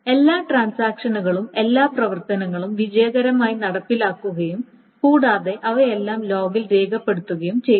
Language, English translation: Malayalam, So all the operations in the transaction have been executed successfully plus all of them have been recorded in the log